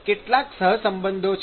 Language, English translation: Gujarati, There are some correlations